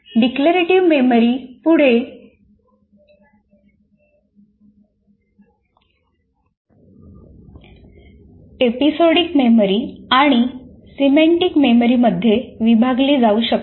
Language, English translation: Marathi, This declarative memory may be further subdivided into what we call episodic memory and semantic memory